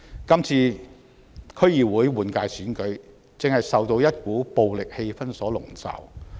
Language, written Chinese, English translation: Cantonese, 今次區議會換屆選舉，正受到一股暴力氣氛籠罩。, The upcoming DC General Election has been clouded by an atmosphere of violence